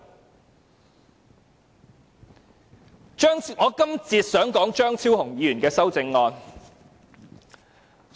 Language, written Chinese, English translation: Cantonese, 我在這一節想談談張超雄議員的修正案。, In this session I would like to talk about Dr Fernando CHEUNGs amendment